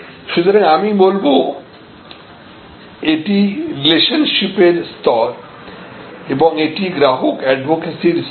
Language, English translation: Bengali, So, from I would say this is the relationship level and this is the customer advocacy level